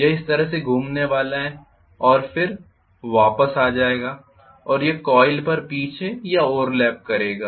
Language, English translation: Hindi, It is going to go round like this and then it will come back and it will fold back or overlap on the coil